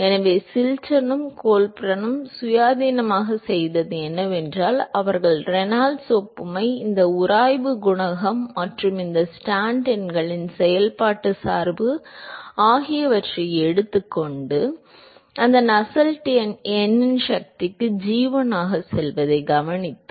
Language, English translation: Tamil, So, what Chilton and Colburn independently did is they took the Reynolds analogy, the functional dependence of this friction coefficient and these Stanton numbers and observing that the, observing that Nusselt number goes as g1 something into Prandtl to the power of n